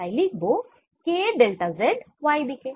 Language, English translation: Bengali, so i can write k delta z in the y direction